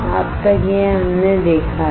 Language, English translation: Hindi, Until this we have seen